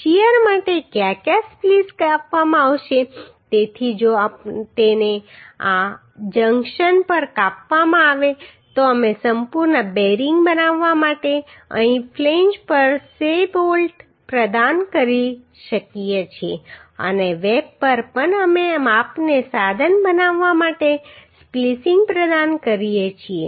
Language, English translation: Gujarati, Where where splice will be provided for shear so if it is spliced at this junction then we can provide say bolt here at the flange to make a complete bearing and also at web also we provide we provide splicing to make means to the measure the shear